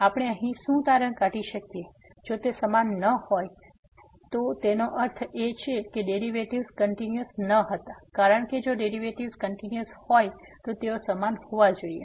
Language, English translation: Gujarati, So, what we can conclude from here, if they are not equal, if they are not equal; that means, the derivatives were not continuous because if the derivatives were continuous then they has to be equal